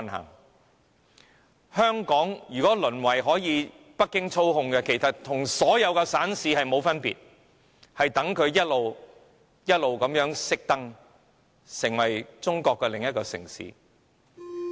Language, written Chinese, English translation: Cantonese, 如果香港淪為被北京操控，其實與所有省市並無分別，只能等着逐漸關燈，成為中國另一個城市......, If Hong Kong becomes a city controlled by Beijing it is no different from any other provinces or cities . It can only wait for the lights to go off one by one and become another city in China